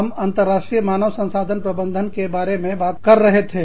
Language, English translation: Hindi, We were talking about, International HRM